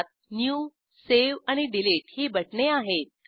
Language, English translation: Marathi, It has three buttons New, Save and Delete